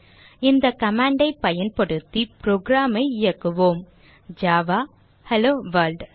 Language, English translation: Tamil, Now, run the program using the command java HelloWorld and